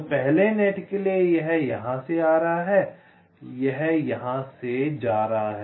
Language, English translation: Hindi, so for the first net, it is coming from here, it is going here